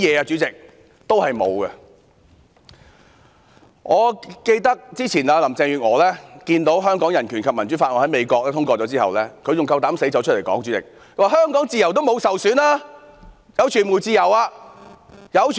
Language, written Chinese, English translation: Cantonese, 主席，我記得林鄭月娥之前看到《香港人權與民主法案》在美國通過後，還膽敢說香港的自由沒有受損，傳媒享有自由。, President I recall that seeing the passage of the Hong Kong Human Rights and Democracy Act by the United States earlier Carrie LAM still dared say that Hong Kongs freedom was not undermined and that media organizations enjoyed freedom